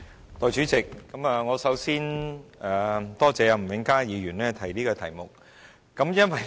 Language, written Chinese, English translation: Cantonese, 代理主席，我首先多謝吳永嘉議員提出這項議題。, Deputy President before all else I thank Mr Jimmy NG for bringing up this topic for discussion